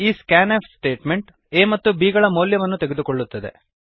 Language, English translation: Kannada, This scanf statement takes input for the variables a and b